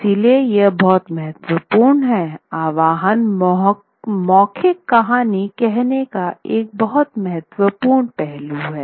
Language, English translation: Hindi, Invocation is a very important aspect of oral storytelling